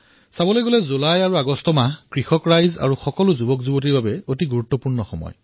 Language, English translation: Assamese, Usually, the months of July and August are very important for farmers and the youth